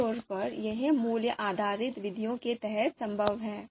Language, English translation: Hindi, So typically, this is possible under value based methods